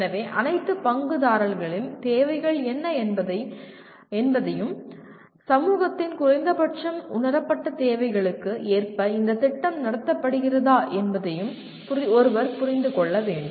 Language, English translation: Tamil, So one will have to really understand what are the needs of the all the stakeholders and whether the program is being conducted as per the at least perceived needs of the society at large